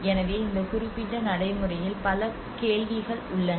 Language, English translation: Tamil, So there are many questions in this particular practice which comes